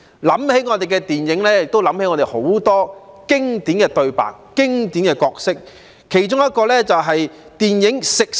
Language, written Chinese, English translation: Cantonese, 談到我們的電影，自然想起很多經典的對白、經典的角色，包括電影《食神》。, Speaking of local films many classic dialogues and characters will spring to mind including the film The God of Cookery